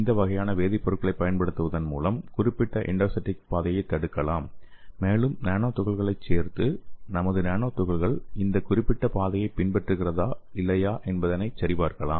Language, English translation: Tamil, So by using these kind of chemicals, we can block the particular endocytic pathway and we can add our nano particles and we can check whether our nano particles is following this particular pathway are not